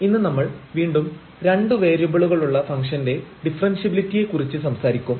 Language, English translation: Malayalam, And today we will talk about again Differentiability of Functions of Two Variables